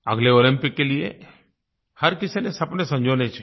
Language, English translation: Hindi, Each one should nurture dreams for the next Olympics